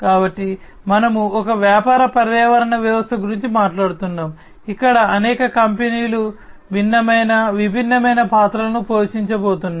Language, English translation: Telugu, So, we are talking about a business ecosystem, where several companies are going to play different, different roles